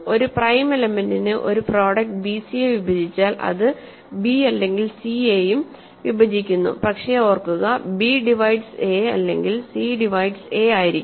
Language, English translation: Malayalam, A prime element has the property that if it divides a product, it divides b, if it divides a product bc, it divides either b or c, but b remember divides a or c divides a